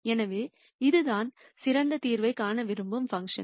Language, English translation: Tamil, So, this is the function for which we want to find the best solution